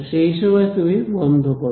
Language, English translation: Bengali, So, at that point you should stop